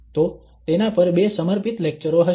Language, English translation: Gujarati, So that, there will be two devoted lectures on that